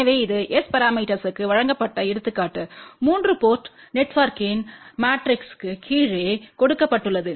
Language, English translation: Tamil, So, this is the example where it is given that S parameter matrix of a 3 port network is given below